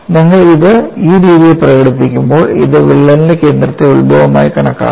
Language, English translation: Malayalam, And when you express it in this fashion this is with respect to the center of the crack as the origin